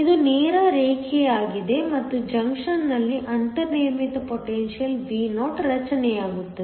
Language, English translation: Kannada, This is a straight line and there is a built in potential Vo formed at the junction